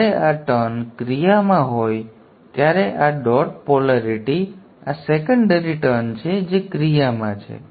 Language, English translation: Gujarati, When this winding is action, this dot polarity, this is the secondary winding that is in action